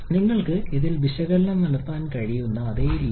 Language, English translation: Malayalam, The same way you can perform analysis of this one